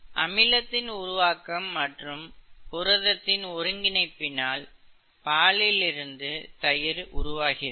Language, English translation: Tamil, Acid formation and as a result, protein aggregation is what causes milk to turn into curd